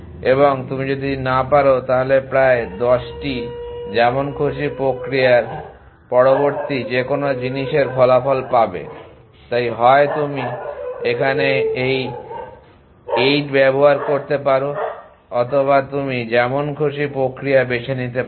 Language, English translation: Bengali, And if you cannot then you to result to some 10 of random process any things next so either you can u use 8 here or you can choose random process